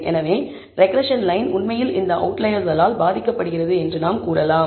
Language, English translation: Tamil, So, we can say that regression line is indeed getting affected by these outliers